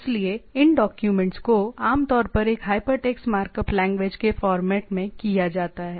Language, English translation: Hindi, So, this documents are typically in a formatted in a in a hypertext markup language right